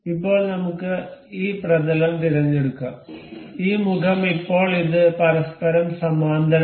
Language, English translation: Malayalam, Now, let us select this plane, and this face now this has become parallel to each other